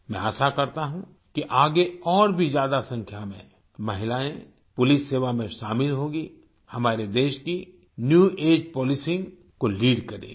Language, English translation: Hindi, I hope that more women will join the police service in future, lead the New Age Policing of our country